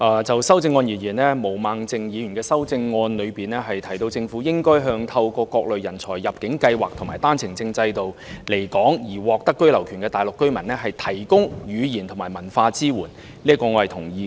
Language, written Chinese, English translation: Cantonese, 就修正案而言，毛孟靜議員的修正案提到政府應向透過各類人才入境計劃及單程證制度來港而獲得居留權的大陸居民，提供語言及文化支援，這一點我是同意的。, With regard to the proposed amendments I agree with Ms Claudia MO who proposes in her amendment that the Government should provide language and cultural support to Mainland residents who are granted the right of abode in Hong Kong through various talent admissions schemes and the One - way Permit OWP system